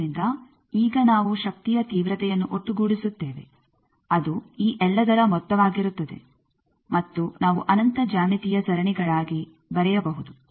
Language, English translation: Kannada, So, now we can sum the power intensity will be sum of all these and that we can write as infinite geometric series